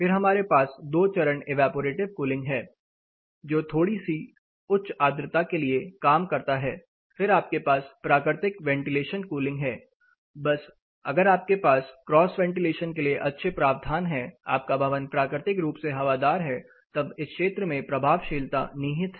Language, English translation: Hindi, Then we have two stage evaporative cooling which works slightly for higher (Refer Time: 21:35) contents, slightly, then you have natural ventilation cooling just you know you have a provision for good cross ventilation, your building is well ventilated naturally then you know effectiveness lie in this area